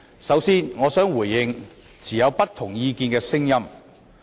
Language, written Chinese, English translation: Cantonese, 首先，我想回應不同意見的聲音。, First I wish to respond to the dissenting voices